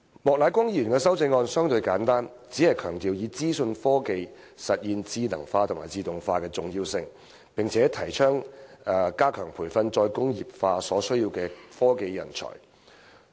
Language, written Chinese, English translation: Cantonese, 莫乃光議員的修正案相對簡單，只強調以資訊科技實現智能化及自動化的重要性，並提倡加強培訓"再工業化"所需的科技人才。, Mr Charles Peter MOKs amendment is relatively simple which only stresses the importance of the use of information technologies to achieve intelligent processes and automation and advocates enhancing training of technology talents required by re - industrialization